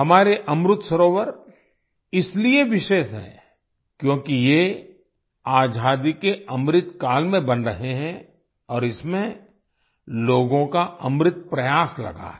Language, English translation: Hindi, Our Amrit Sarovarsare special because, they are being built in the Azadi Ka Amrit Kal and the essence of the effort of the people has been put in them